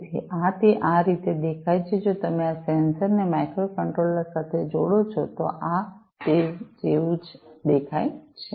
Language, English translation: Gujarati, So, this is how it is going to look like if you connect these sensors to the microcontroller’s right, this is how it is going to look like